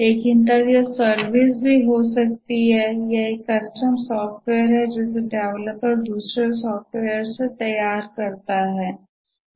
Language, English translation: Hindi, But then the service can also be that it's a custom software which the developer tailors from another software